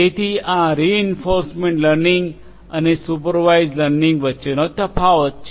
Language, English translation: Gujarati, So, that is the difference between the reinforcement learning and unsupervised learning